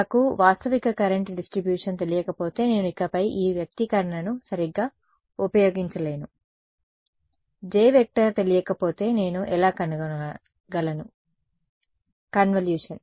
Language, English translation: Telugu, If I do not know the realistic current distribution I can no longer use this expression right; if I do not know J how can I find out A, the convolution